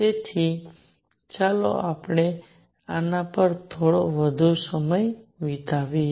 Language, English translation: Gujarati, So, let us just spend some more time on this